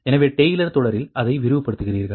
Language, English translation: Tamil, right, so you expand it in taylor series